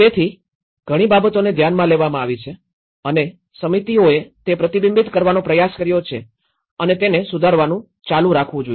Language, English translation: Gujarati, So, things have been taken into account and committees have try to reflect that and let it has to keep revising